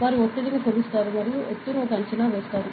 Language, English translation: Telugu, So, they will measure pressure and predict the altitude